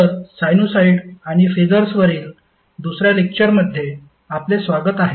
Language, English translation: Marathi, So, wake up to the second lecture on sinusoid and phasers